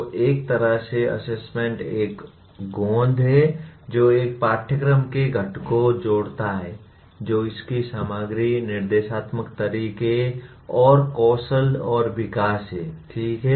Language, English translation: Hindi, So in a way assessment is a glue that links the components of a course, that is its content, instructional methods and skills and development, okay